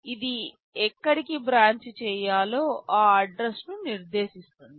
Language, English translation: Telugu, It specifies the address where to branch